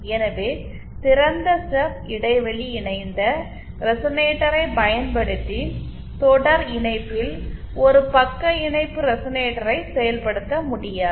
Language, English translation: Tamil, So using an open stub gap coupled resonator, it is not possible to implement a shunt resonator in series